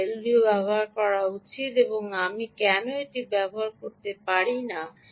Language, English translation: Bengali, why should i use an l d o and why should i not use this where i can